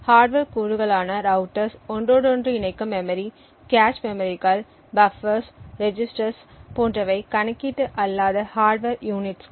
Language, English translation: Tamil, So, hardware components such as routers, interconnects memory, cache memories, buffers, registers and so on are non computational hardware entities